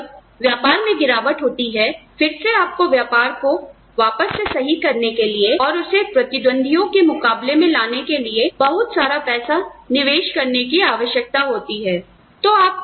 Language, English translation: Hindi, And, when the business is on a decline, then again, you will have to invest, a large amount of money, in reviving the business, and bringing it up to speed with its competitors